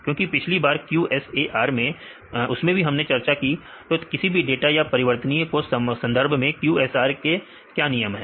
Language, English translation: Hindi, Because last time in the QSAR also we discussed; so, what is the rules for QSAR with respect to data and the variables